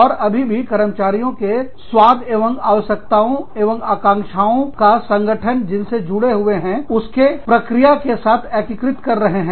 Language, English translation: Hindi, And still appeal to the taste, and integrating the needs and expectations of the employees, with the processes, that the organization is involved in